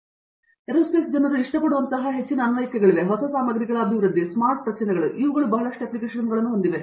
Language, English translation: Kannada, So, that way there is a lot of applications that aerospace people can do like, development of new materials, smart structures these things have a lot of applications